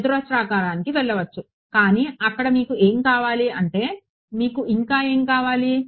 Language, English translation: Telugu, Go to quadratic, but what you need more there I mean what more do you need then